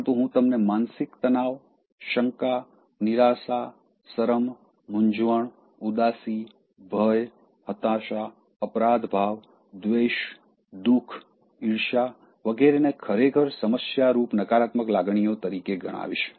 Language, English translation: Gujarati, But I would like to tell you such intense ones as depression, doubt, despair, shame, embarrassment, sadness, fear frustration, gilt, hatred, grief, jealousy or the ones I would rather consider them as the real problematic negative emotions